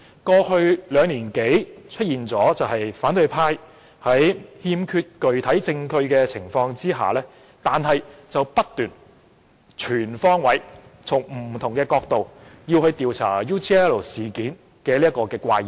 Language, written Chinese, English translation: Cantonese, 過去兩年多，反對派在欠缺具體證據的情況下，仍不斷全方位從不同角度調查 UGL 事件。, Over the past two years or so in the absence of concrete evidence the opposition camp has kept investigating the UGL incident on all fronts from different perspectives